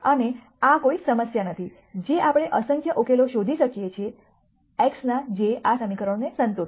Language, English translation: Gujarati, And this is not a problem we can find infinite number of solutions x which will satisfy these equations